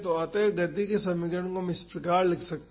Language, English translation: Hindi, So, we can write the equation of motion as this